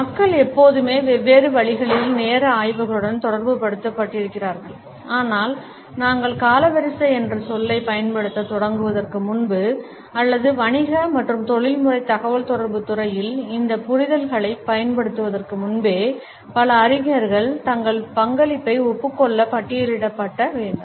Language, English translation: Tamil, People have always been associated with studies of time in different ways, but before we started using the term chronemics or even before we apply these understandings in the area of business and professional communication, a number of scholars have to be listed to acknowledge their contribution for the development of this idea